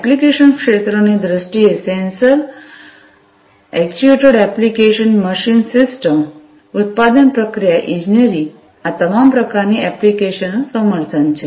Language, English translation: Gujarati, So, in terms of application areas sensor actuated applications machine system production process engineering all these sorts of applications are supported